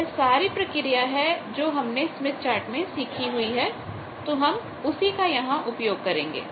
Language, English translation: Hindi, So, all those steps are given here just whatever we have learnt from the smith chart from that you can just follow this step